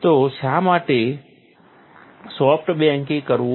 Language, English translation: Gujarati, So, why to perform soft baking